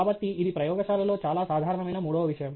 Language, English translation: Telugu, So, thatÕs the third thing that is very common in the lab